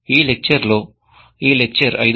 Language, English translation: Telugu, In this lecture, that is lecture 5